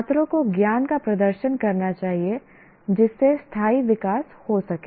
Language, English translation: Hindi, Student should demonstrate the knowledge what can lead to sustainable development